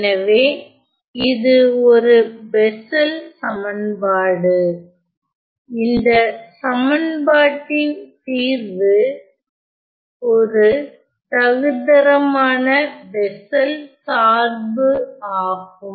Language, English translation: Tamil, So, this is a Bessels equation and the answer to this equation is the standard Bessels function